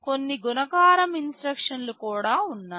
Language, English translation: Telugu, There are some multiplication instructions also